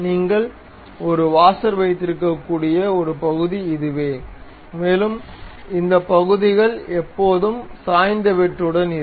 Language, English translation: Tamil, So, this only the portion where you can have a washer which one can fix it and these portions are always be having inclined cut